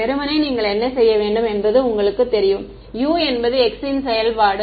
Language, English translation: Tamil, Ideally what you should do you know that U is a function of x